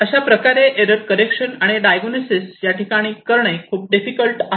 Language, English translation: Marathi, So, this kind of so, error correction and diagnosis is much more difficult over here